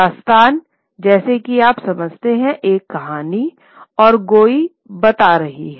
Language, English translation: Hindi, Dastan, as you understand, is a story, and going is telling